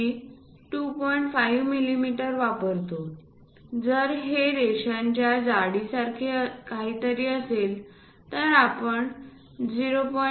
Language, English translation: Marathi, 5 millimeters; if it is something like thickness of lines, we use 0